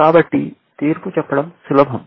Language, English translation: Telugu, So, it is easy to judge